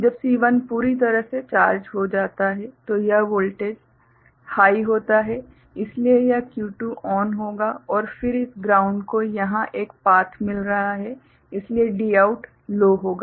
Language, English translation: Hindi, When the C is fully charged, this voltage is high, so this Q2 will be ON and then this ground is getting a path over here, so Dout will be low